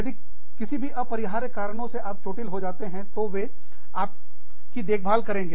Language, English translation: Hindi, If, for whatever reason, inadvertently, you get hurt, they will look after you